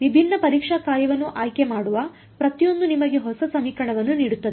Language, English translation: Kannada, Every choosing a different testing function gives you a new equation